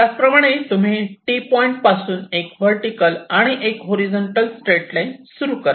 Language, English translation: Marathi, you start, in a similar way, a horizontal and a vertical straight line